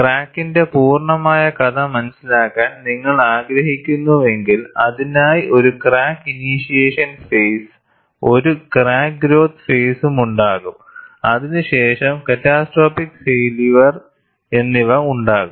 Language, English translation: Malayalam, If you want to understand the complete story of the crack, there would be a crack initiation phase, there would be a crack growth phase, followed by catastrophic failure